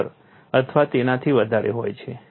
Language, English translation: Gujarati, 15 or so